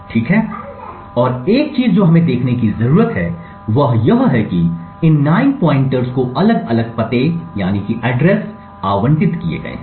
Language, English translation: Hindi, Okay, and one thing what we need to see is that these 9 pointers have been allocated different addresses